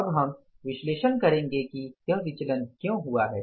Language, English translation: Hindi, Now we will analyze that why this variance has occurred